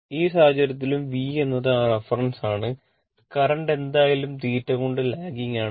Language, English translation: Malayalam, In that case also V is that reference thing , current anyway lagging by theta